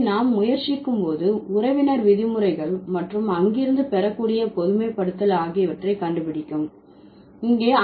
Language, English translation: Tamil, So, when you were, when we are trying to figure out the kinship terms and the generalization that would draw from there